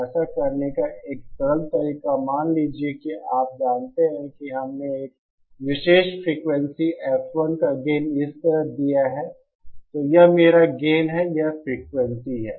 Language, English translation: Hindi, So one simple way to do that, suppose you know we have letÕs say a particular frequency F 1 gain like this, so this is my gain, this is frequency